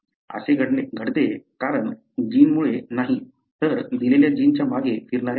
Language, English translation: Marathi, It happens because, not because of the gene, but because of the repeats that are flanking a given gene